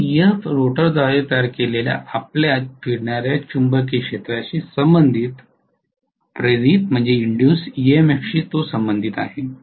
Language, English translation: Marathi, So Ef corresponds to the induced EMF corresponding to your revolving magnetic field created by the rotor